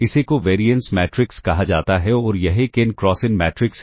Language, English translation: Hindi, This is termed as a covariance matrix and this is an n cross n matrix